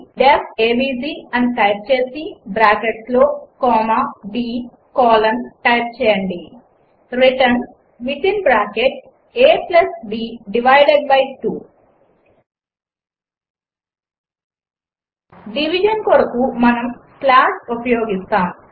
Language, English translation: Telugu, Type def avg within bracket a comma b colon return within bracket a + b divided by 2 For division we use slash